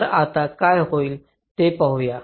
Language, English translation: Marathi, so now let us see what happens